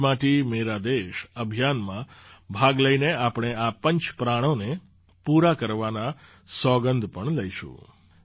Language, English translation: Gujarati, By participating in the 'Meri Mati Mera Desh' campaign, we will also take an oath to fulfil these 'five resolves'